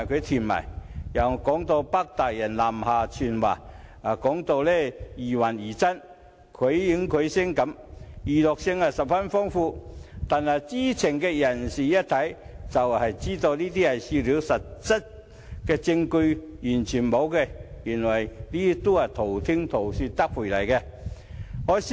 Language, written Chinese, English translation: Cantonese, 此外，更有指"北大人"南下傳話，說得疑幻疑真，繪形繪聲，娛樂性十分豐富，但知情人士一看便知純屬笑料，實質證據完全欠奉，全部是道聽塗說。, Besides there was a rumour that the Northern Overlords had come to the south to deliver a message . Such illusionary allegations are not only vivid but also very entertaining and yet people in the know would simply laugh them off as they are mere hearsay without any substantive support